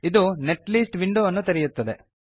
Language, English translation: Kannada, This will open up the Netlist window